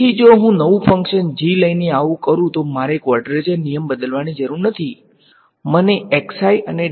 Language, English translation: Gujarati, So, if I come up with a new function g I do not have to change the quadrature rule, all I have